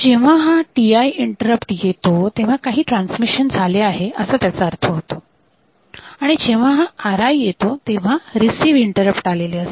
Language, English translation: Marathi, So, when this TI interrupt occurs; so, then; that means, some transmission has taken place and when this RI interrupt occurs then this RI interrupts receive interrupt has taken place